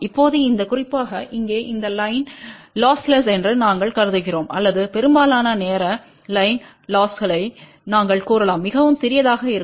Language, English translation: Tamil, Now, in this particular case here we are assuming that this line is loss less or we can say most of the time line losses will be very very small